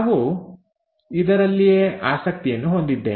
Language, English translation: Kannada, This is what we are interested in